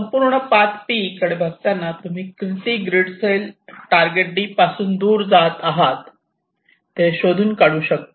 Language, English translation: Marathi, now you look at the entire path, you find out in how many grid cells you are actually moving away from the target